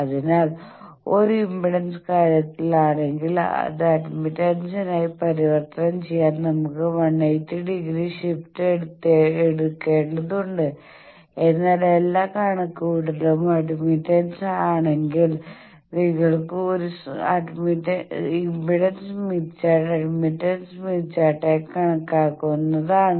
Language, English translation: Malayalam, So, if we are in an impedance thing then to convert that to admittance we need to take a 180 degree shift, but if all the calculations are in admittance is then the impedance smith chart you can consider as an admittance smith chart there is no problem